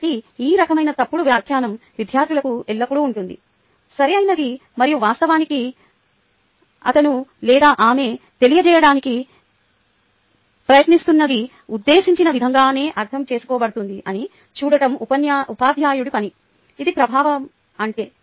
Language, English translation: Telugu, so this kind of misinterpretation the students always ah have right and this is the job of the teacher to actually see that whatever he or she is trying to convey is understood exactly in the same way as is the intent